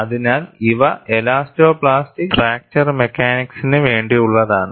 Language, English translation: Malayalam, So, these are meant for essentially, elastoplastic fracture mechanics